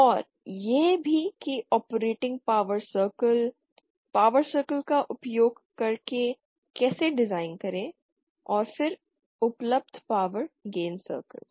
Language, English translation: Hindi, And also how to design using the operating power circles power gain circle out and then available power gain circles